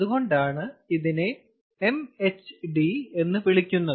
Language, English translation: Malayalam, so that is why it is called mhd